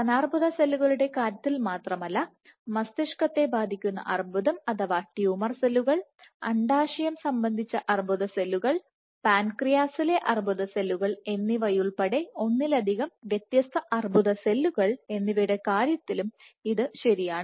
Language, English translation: Malayalam, And it is not just true for breast cancer cells, across multiple different cancer cells, including brain cancer or tumor cells, ovarian cancer cells, pancreatic cancer cells so on and so forth